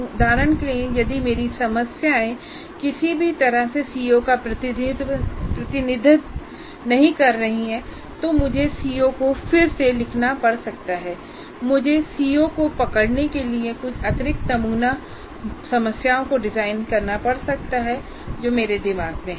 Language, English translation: Hindi, For example, if my problems do not somehow is not exactly representing the CO, I may be required to reword the CO or I may have to redesign some additional sample problems to really capture the CO that I have in mind